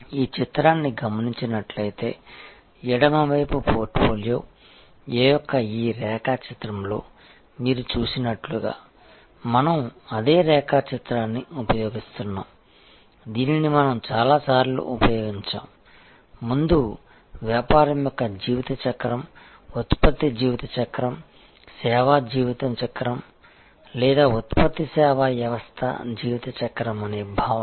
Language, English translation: Telugu, At any point of time there will be different brands, there will be different offerings coming from the same organization and as you see in this diagram of the left hand side portfolio A, we are using that same diagram, which we have use several times before, the concept of the life cycle of a business, product life cycle, service life cycle or product service system life cycle